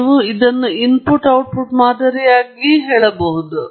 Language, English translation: Kannada, You can also call it as an input output model